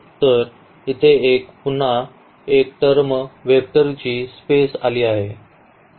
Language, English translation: Marathi, So, again one more term here the vector space has come